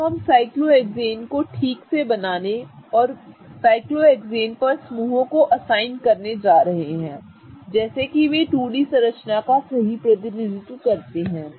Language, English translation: Hindi, Okay, so now we are going to quickly go over how to draw a cyclohexane properly and how to assign groups on the cyclohexane such that they correctly represent a 2D structure on the chair